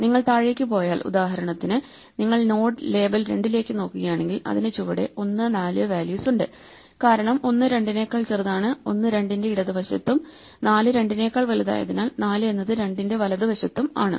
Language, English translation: Malayalam, If you go down, for instance, if you look at the node label two then below it has values 1 and 4 since 1 is smaller than 2, 1 is to the left of 2 and since 4 is bigger than 2, 4 is to the right of 2